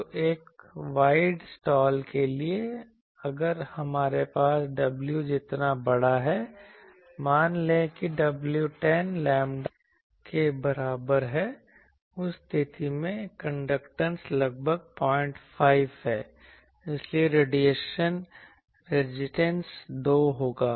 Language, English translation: Hindi, So, for a wide slot, if we have w is large, let us say w is equal to 10 lambda, in that case the conductance is roughly 0